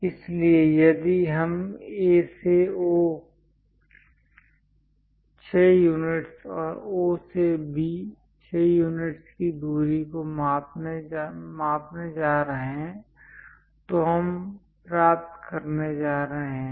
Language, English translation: Hindi, So, if we are going to measure the distance from A to O, 6 units and O to B, 6 units, we are going to get